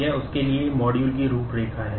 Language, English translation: Hindi, These are the module outline for that